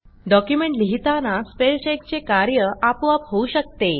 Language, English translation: Marathi, The spell check can be done automatically while writing the document